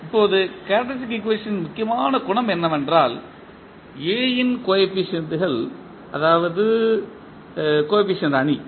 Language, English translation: Tamil, Now, the important property of characteristic equation is that if the coefficients of A that is the coefficient matrix